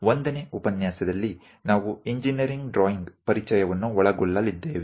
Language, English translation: Kannada, In the 1st lecture, we are going to cover introduction to engineering drawing